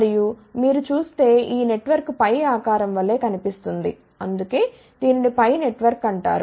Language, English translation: Telugu, And, if you see this network looks like a pi shape, that is why it is known as pi network